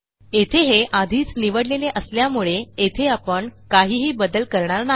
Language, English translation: Marathi, Here it is already selected, so we will not do anything